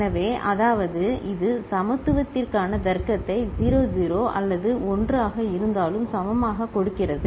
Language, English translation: Tamil, So, that means, it is actually giving the logic for equality equal whether it is 0 0 or 1 1